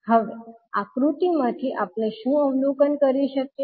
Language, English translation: Gujarati, Now from the figure what we can observe